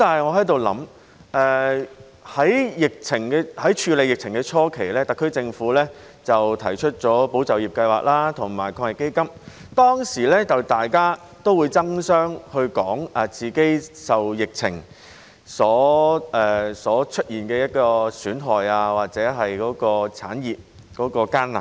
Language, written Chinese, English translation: Cantonese, 我在想，在處理疫情的初期，特區政府推出了"保就業"計劃及防疫抗疫基金，當時大家會爭相說出自己受疫情出現的損害或產業的艱難。, I was thinking that at the early stage of coping with the epidemic the SAR Government introduced the Employment Support Scheme and the Anti - epidemic Fund and at that time people fell over each other to tell us the damage they suffered from the epidemic or the hardship of their industries